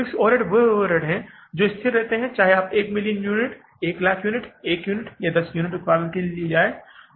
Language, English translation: Hindi, Fix overhead are those overheads which remain fixed whether you go for production of 1 million units, 1 lakh units, 1 unit or 10 units